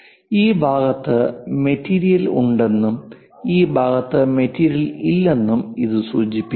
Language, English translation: Malayalam, This indicates that material is there and there is no material on this side